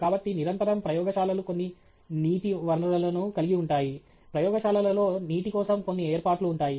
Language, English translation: Telugu, So, therefore, invariably, labs have some source of water, some arrangement for water in the lab